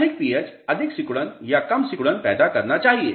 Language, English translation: Hindi, More pH should create more shrinkage or less shrinkage